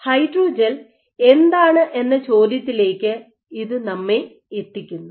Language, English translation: Malayalam, So, that brings us to the question what exactly is the hydrogel